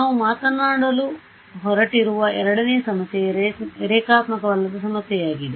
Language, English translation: Kannada, The second problem that we are going to talk about is a problem of non linearity